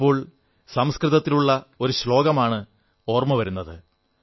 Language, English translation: Malayalam, I am reminded of one Sanskrit Shloka